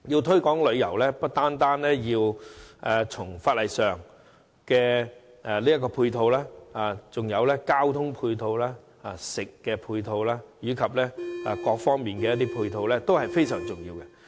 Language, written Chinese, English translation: Cantonese, 推廣旅遊不單要在法例方面作出配合，還有交通、飲食及其他方面的配套，全部皆非常重要。, The promotion of tourism does not only require the necessary legislation but also transportation catering and other complementary facilities and all of them are essential